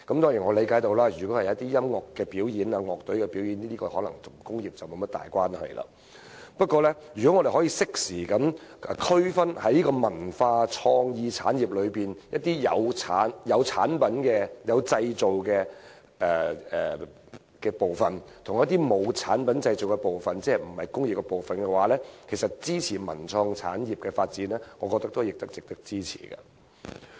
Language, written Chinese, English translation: Cantonese, 當然，我理解到一些音樂表演或樂隊表演可能與工業沒有太大關係，但如果我們可以適當區分文化創意產業中涉及產品製造的範疇和不涉及產品製造的範疇，即非工業範疇，其實我認為文創產業的發展也是值得支持的。, Certainly I understand that some music performances or band shows may not have much to do with manufacture but if we can draw an appropriate distinction between production - related fields and non - production - related fields ie . non - manufacture field in the cultural and creative industries I actually think that the development of cultural and creative industries merits support